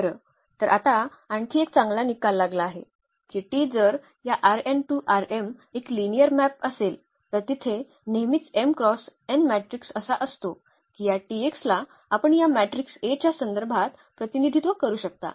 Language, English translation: Marathi, Well, so now, there is another nice result that if T is a linear map from this R n to R m T is a linear map from R n to R m then there is an always m cross n matrix a such that this T x you can represent in terms of this matrix A